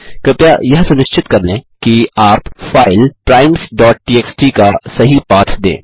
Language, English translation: Hindi, Please make sure that you provide the correct path of the file, primes.txt